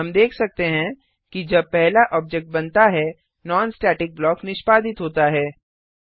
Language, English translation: Hindi, Then again when the second object is created, the non static block is executed